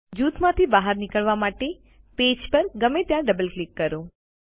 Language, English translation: Gujarati, Double click anywhere on the page to exit group